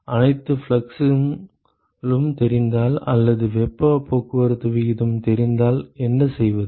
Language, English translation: Tamil, What if all the fluxes are known or the rate heat transport rate is known